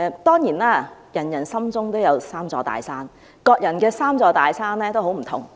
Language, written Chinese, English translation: Cantonese, 當然，每人心中都有"三座大山"，各人的"三座大山"亦不盡相同。, Certainly there are three big mountains in everybodys heart and they may differ in each persons heart